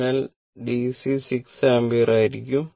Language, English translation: Malayalam, So, I dc will be 6 ampere